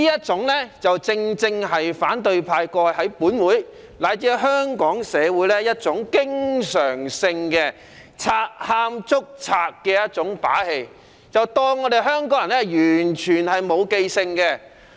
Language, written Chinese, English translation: Cantonese, 這正是反對派過去在本會乃至香港社會經常作的"賊喊捉賊"的把戲，以為香港人完全沒記性。, This is exactly a show of a thief crying stop thief constantly put up by the opposition in this Council and even Hong Kong society . They consider Hong Kong people forgetful